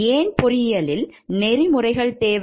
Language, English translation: Tamil, So, what is engineering ethics